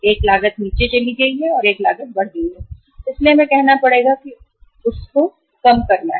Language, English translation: Hindi, One cost has gone down, another cost has gone up so we will have to bear say bear the brunt of that